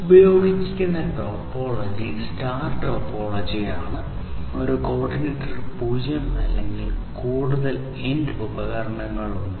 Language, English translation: Malayalam, The topology that is used are star topology and in the star topology there is no router one coordinator and zero or more end devices